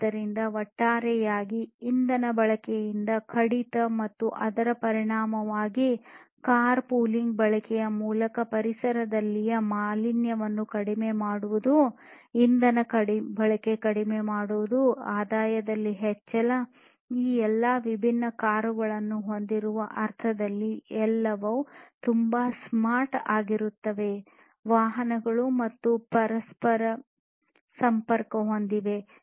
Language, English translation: Kannada, So, and also the reduction in fuel consumption overall and also consequently reducing the pollution in the environment through the use of car pooling, basically you know reduction in fuel consumption, increase in revenue, making everything very you know smart in the sense that you know you have all of these different cars and vehicles connected to each other